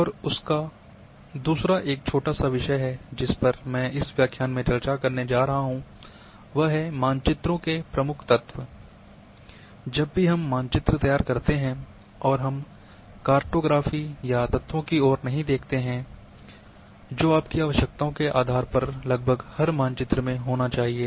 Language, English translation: Hindi, And second is a small topic which I am going to discuss in this lecture is the key elements of maps, whenever we prepare maps and we do not look towards the cartography or the elements which need to be there in almost each and every map depending on your requirements